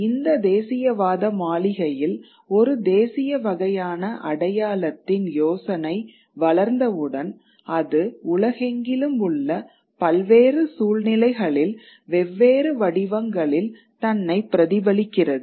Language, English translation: Tamil, But once this nationalist edifice, this idea of a national sort of identity gets developed, it replicates itself in various situations across the world in different forms